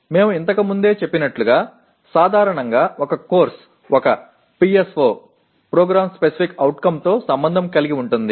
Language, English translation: Telugu, As we mentioned earlier, generally a course gets associated with one PSO